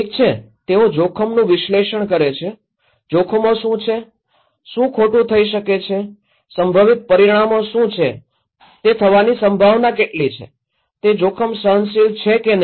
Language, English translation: Gujarati, Okay, they do hazard analysis, what are the hazards, what can go wrong, what are the potential consequences, how likely is it to happen, is the risk is tolerable or not